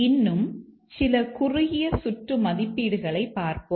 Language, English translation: Tamil, Let's look at a few more short circuit evaluations